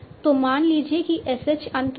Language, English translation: Hindi, So, suppose, so, S is what at the end